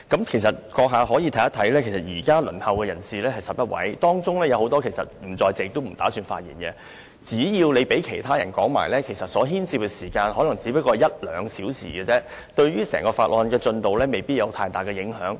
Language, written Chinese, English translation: Cantonese, 其實，你可以看看，現時輪候發言的議員有11位，當中有很多並不在席或不打算發言，只要你讓其他想發言的議員發言，所牽涉的時間可能只是一兩小時，對於整項法案的進度未必有太大的影響。, Actually as you can see 11 Members are now waiting for their turn to speak but many of them are not in the Chamber or do not intend to speak . So long as you allow other Members who wish to speak to speak the time it takes may only be an hour or two and this may not have too great an impact on the progress of the entire Bill